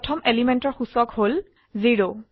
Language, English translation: Assamese, The index of the first element is 0